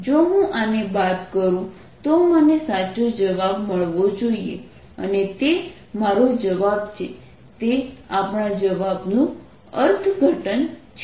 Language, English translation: Gujarati, if i subtract this, i should get the right answer and that's my answer